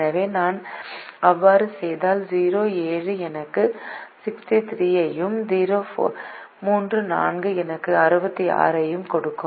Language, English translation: Tamil, so if i do that, zero comma seven will give me sixty three and three comma four will give me sixty six